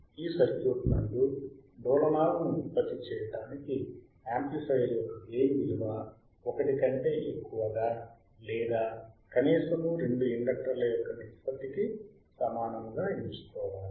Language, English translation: Telugu, To generate oscillation from this circuit, amplifier gain must be selected greater than or equal to the ratio of the two inductancestors right which